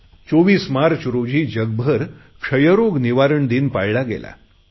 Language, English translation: Marathi, On March 24th, the world observed Tuberculosis Day